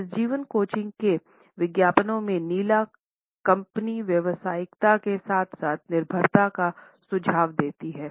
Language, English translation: Hindi, The blue in the advertisements of this life coaching company suggest professionalism as well as dependability